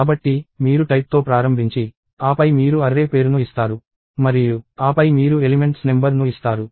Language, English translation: Telugu, So, you start with type and then you give an array name and then you give number of elements